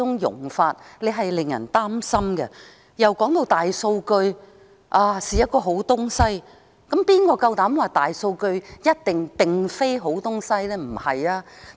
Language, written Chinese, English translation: Cantonese, 議員亦指出大數據是好東西，當然，誰又敢說大數據一定不是好東西？, Members have also pointed out that big data are something good . Of course who will dare to say that they are definitely not?